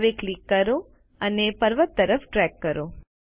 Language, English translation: Gujarati, Now click and drag towards the mountain